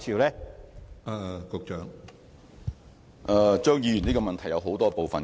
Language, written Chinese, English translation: Cantonese, 張議員的補充質詢包含很多部分。, Mr CHEUNGs supplementary question contains many parts